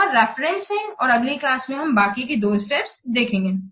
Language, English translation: Hindi, These are the references and in the next class we will see the remaining two steps